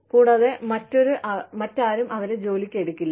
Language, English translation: Malayalam, And, nobody else will hire them